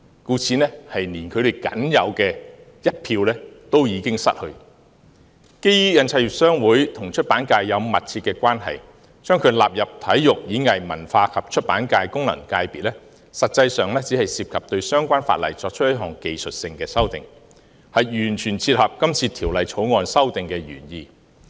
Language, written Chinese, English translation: Cantonese, 故此，他們連僅有的一票已經失去。基於印刷業商會和出版界有密切的關係，將其納入體育、演藝、文化及出版界功能界別，實際上只涉及對相關法例作出一項技術性修訂，完全切合今次《條例草案》的修訂原意。, Since HKPA is closely connected with the publication sector including it in the Sports Performing Arts Culture and Publication FC will in practice only involve a technical amendment to the relevant legislation which will be completely consistent with the original intent of the amendment exercise